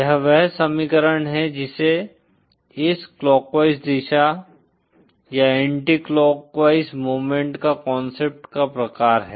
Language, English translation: Hindi, This is the equation from which this concept of clockwise or anticlockwise movement follows